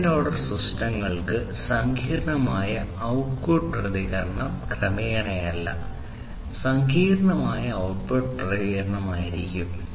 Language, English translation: Malayalam, Second order systems will have complex output response not gradually, but a complex output response